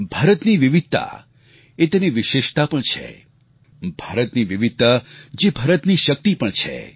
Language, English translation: Gujarati, India's diversity is its unique characteristic, and India's diversity is also its strength